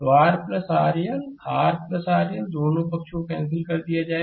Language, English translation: Hindi, So, R plus R L R plus R L will be cancelled both sides